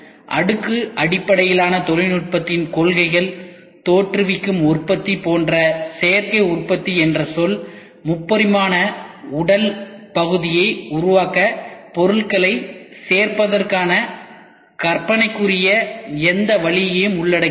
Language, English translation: Tamil, The principles of layered based technology; the term Additive Manufacturing like generative manufacturing covers any imaginable way of adding materials in order to create a 3 dimensional physical part